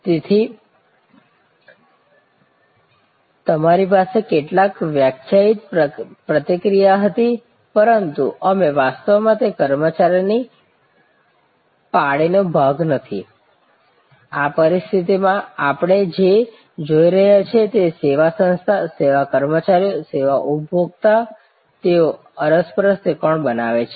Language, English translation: Gujarati, So, you had some define interaction, but you are not actually part of that employee shift, in this situation what we are looking at is that service organization, service employees, service consumers, they form a triangle and then interactive triangle